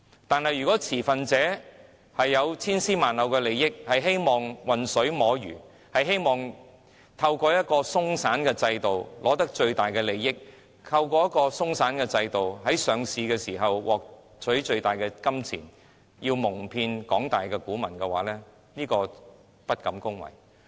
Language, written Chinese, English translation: Cantonese, 但是，若擁有千絲萬縷利益的持份者想混水摸魚，希望透過鬆散的制度以取得最大利益，透過這樣的制度在上市時獲得最多金錢，蒙騙廣大股民，我實在不敢恭維。, That said if any stakeholders having intricate interests want to fish in troubled waters fool the masses of small investors and maximize their gains and monetary benefits under this loose system at the time of listing they will not have my approval